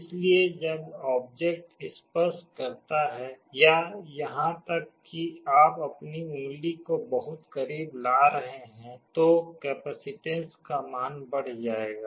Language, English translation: Hindi, So, when the object touches or even you are bringing your finger in very close proximity, the value of the capacitance will increase